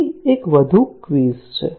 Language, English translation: Gujarati, There is one more quiz here